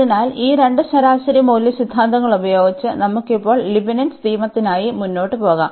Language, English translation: Malayalam, So, with this with these two mean value theorems, we can now proceed for the Leibnitz rule